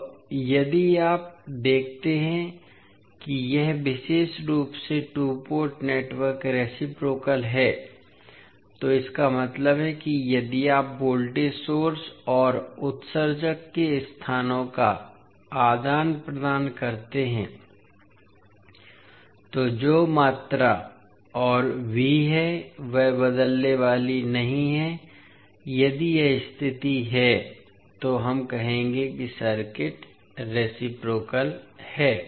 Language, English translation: Hindi, Now, if you see that this particular two port network is reciprocal, it means that if you exchange the locations of voltage source and the emitter, the quantities that is I and V are not going to change so if this condition holds we will say that the circuit is reciprocal